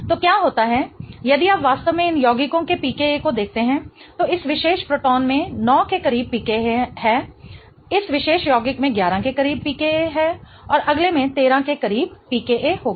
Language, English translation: Hindi, So, what happens is if you really see the pk of these compounds, this particular proton here has a pk close to 9, this particular compound here has a pk close to 11 and the next one will have a pk close to 13